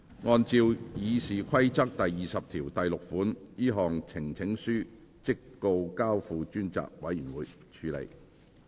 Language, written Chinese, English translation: Cantonese, 按照《議事規則》第206條，這項呈請書即告交付專責委員會處理。, In accordance with Rule 206 of the Rules of Procedure the petition is referred to a select committee